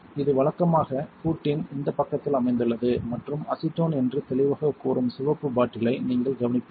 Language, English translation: Tamil, It is usually located on this side of the hood and you will notice the red bottle that clearly says acetone